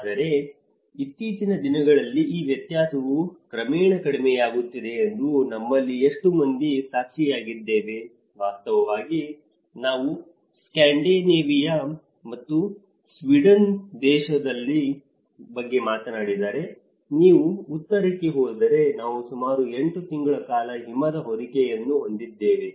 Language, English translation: Kannada, But in the recent times, how many of us have witnessed that this variance has gradually coming down, in fact, if we talk about a country like Scandinavia and Sweden, if you go up north we have the snow cover for about 8 months in an year but now, it has gradually come to 6 months in a year